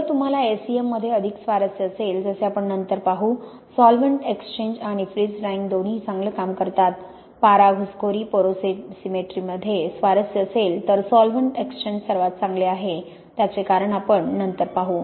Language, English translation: Marathi, If you are more interested in SEM, as we will see later, both solvent exchange and freeze drying work well; interested in mercury intrusion porosimetry then solvent exchange is by far the best as we will see later